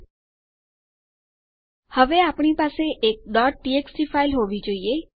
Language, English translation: Gujarati, Ok, so now we should have a .txt file